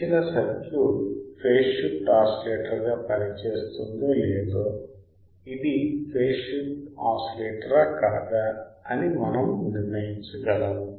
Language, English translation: Telugu, Same way we can determine if it is a phase shift oscillator, whether the given circuit will work as a phase shift oscillator or not